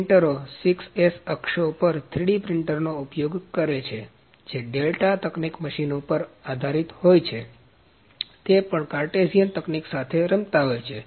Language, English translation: Gujarati, The printers use 6s axis 3D printer which are based upon delta technologies machines, operate with they also played with Cartesian technology